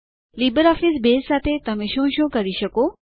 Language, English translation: Gujarati, What can you do with LibreOffice Base